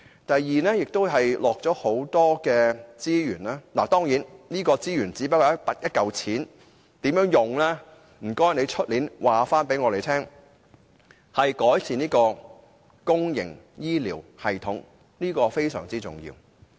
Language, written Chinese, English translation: Cantonese, 第二，預算案投入大量資源——當然，所謂"資源"只是金錢，至於如何運用，請司長明年告訴我們——改善公營醫療，這是非常重要的。, Second the Budget commits enormous resources―certainly resources merely means money and I hope the Financial Secretary can tell us how it has been used next year―to improving public health care . This is very important